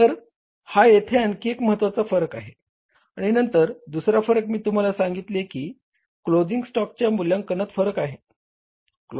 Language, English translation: Marathi, And then another difference I told you that there is a difference in the evaluation of the closing stock